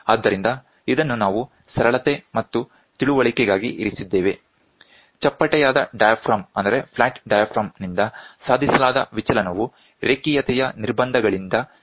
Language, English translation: Kannada, So, this is for single for simplicity and understanding we have put one, the deflection attained by the flat diaphragm is limited by the linearity constraints